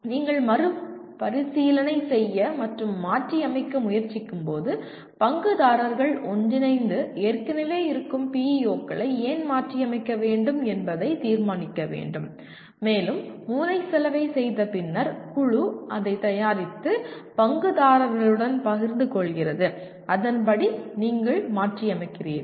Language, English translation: Tamil, And when you are trying to review and modify again one has to go through the process of stakeholders meeting together and deciding why should the existing PEOs be modified and after brainstorming the committee prepares and shares it with the stakeholders and then correspondingly you modify